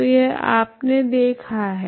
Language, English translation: Hindi, So this is what you have seen